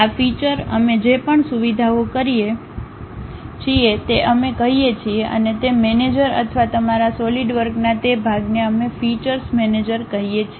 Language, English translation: Gujarati, Whatever these operations we are doing features we call and that manager or that portion of your Solidworks we call feature manager